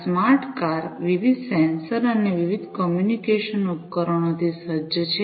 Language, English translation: Gujarati, These smart cars are equipped with different sensors and different communication devices